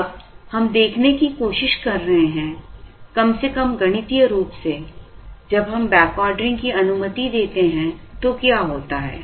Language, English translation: Hindi, Now, we are trying to see, at least to begin with mathematically, what happens when we allow the backordering